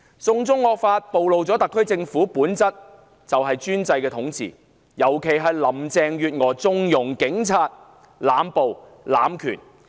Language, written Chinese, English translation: Cantonese, "送中惡法"暴露了特區政府的本質——專制統治，尤其是林鄭月娥縱容警員濫暴、濫權。, The draconian law of extradition to China lays bare the true nature of the SAR Government―an authoritative regime that condones particularly by Carrie LAM the indiscriminate arrests and abuse of power by policemen